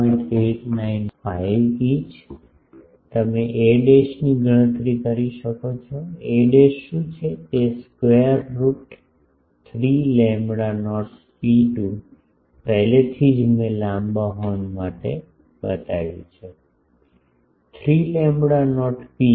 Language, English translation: Gujarati, 895 inch from here you can calculate a dash, what is a dash 3 lambda not rho 2 already I showed for long horns, 3 lambda not rho h